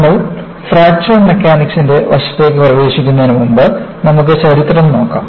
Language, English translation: Malayalam, Before, we get into the aspect of Fracture Mechanics; let us, look at the history